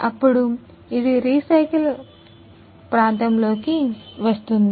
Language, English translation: Telugu, So, that it can be it comes into recycle area